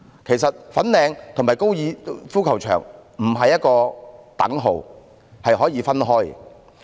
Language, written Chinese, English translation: Cantonese, 其實粉嶺與高爾夫球場不是一個等號，是可以分開的。, In fact Fanling does not equate with golf course . They can be separate from each other